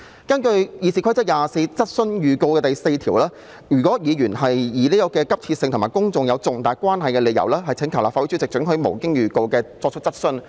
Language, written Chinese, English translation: Cantonese, 根據《議事規則》第24條質詢預告第4款，如議員以事項性質急切及與公眾有重大關係為理由，可請求立法會主席准許無經預告而提出質詢。, According to subrule 4 in RoP 24 a Member may ask the permission of the President to ask a question without notice on the ground that it is of an urgent character and relates to a matter of public importance